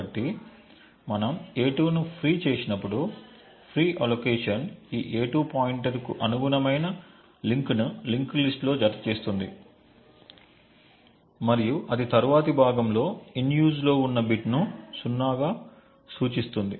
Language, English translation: Telugu, So, when we have freed a2 the free allocation adds the chunk corresponding to this a2 pointer in a linked list and it marks then the in use bit in the next chunk as 0